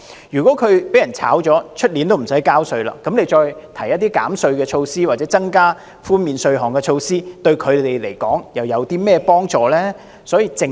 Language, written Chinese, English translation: Cantonese, 如果他們被裁員，明年已不用繳稅，那麼政府提出減稅措施或增加寬免稅項的措施，對他們來說，又有何幫助呢？, If they are laid off they will not need to pay tax next year . Then how can the tax concessionary or the enhanced tax relief measure help them?